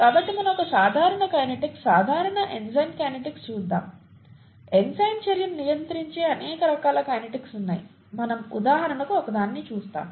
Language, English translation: Telugu, So let us look at a simple kinetics, simple enzyme kinetics, there are very many different kinds of kinetics, which are, which govern enzyme action; we will just look at one, for example, okay